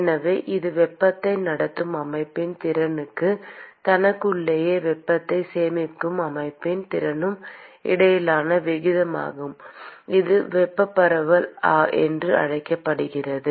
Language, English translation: Tamil, So, this is the ratio between the ability of the system to conduct heat versus the ability of the system to store heat within itself and that is what is called thermal diffusion